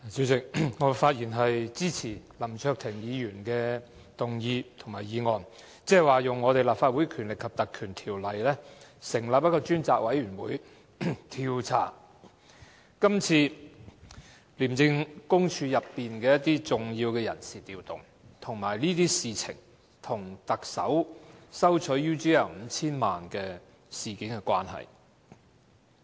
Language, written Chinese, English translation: Cantonese, 主席，我發言支持林卓廷議員的議案，要求引用《立法會條例》成立專責委員會，調查今次廉政公署內的重要人事調動，以及這些事情跟特首收取 UGL Limited 近 5,000 萬元事件的關係。, President I speak in support of Mr LAM Cheuk - tings motion which asks for invoking the Legislative Council Ordinance to appoint a select committee to inquire into the major personnel changes within the Independent Commission Against Corruption ICAC and their connections with the Chief Executives receipt of about 50 million from UGL Limited UGL